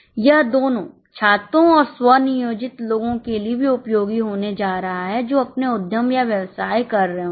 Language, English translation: Hindi, It will be also useful for self employed people who might be doing their own enterprise or business